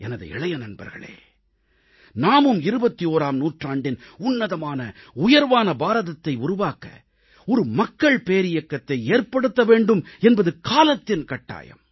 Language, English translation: Tamil, My young friends, the need of the hour is that we build up a mass movement for making a magnificent glorious 21st century India; a mass movement of development, a mass movement to build a capable and strong India